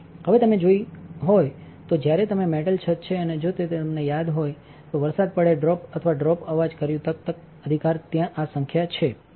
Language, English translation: Gujarati, Now, if you have seen when there is a metal roof and if the rain falls drop by drop did sound that comes if it is tak tak tak right this is sputter